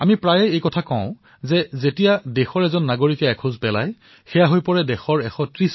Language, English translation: Assamese, We often say that when every citizen of the country takes a step ahead, our nation moves 130 crore steps forward